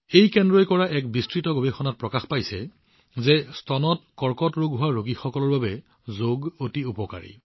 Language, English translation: Assamese, An intensive research done by this center has revealed that yoga is very effective for breast cancer patients